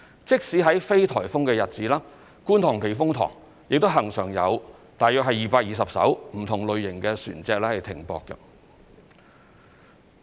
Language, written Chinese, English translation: Cantonese, 即使在非颱風的日子，觀塘避風塘亦恆常有大約220艘不同類型的船隻停泊。, Even in days with no typhoon there are always around 220 vessels of various types berthing at the Kwun Tong Typhoon Shelter